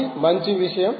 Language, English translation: Telugu, so this is a nice thing